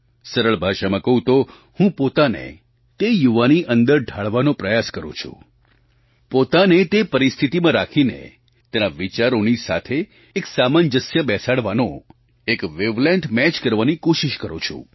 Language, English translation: Gujarati, In simple words, I may say that I try to cast myself into the mould of that young man, and put myself under his conditions and try to adjust and match the wave length accordingly